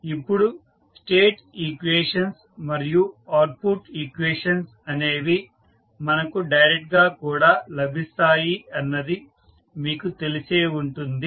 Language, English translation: Telugu, Now, you may be knowing that the state equation and output equations can be obtain directly